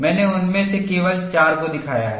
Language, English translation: Hindi, I have shown only four of them